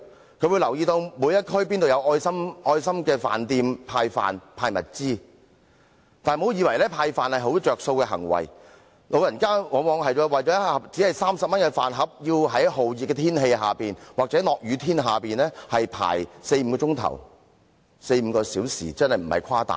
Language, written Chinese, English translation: Cantonese, 他們會留意哪一區有愛心飯店派飯和派物資，但不要以為派飯是一種有便宜可撿的行為，因為長者往往為了一盒只值30元的飯而要在酷熱天氣或下雨天排隊輪候四五個小時，並無誇大。, They will try to get information about the districts where they can get meal boxes from charity restaurants and necessities for free . But let us not assume that the act of giving away meal boxes is something that will do the elderly a big favour because more often than not they have to queue up for four or five hours in hot or rainy weather just for a 30 - dollar meal box and this is no exaggeration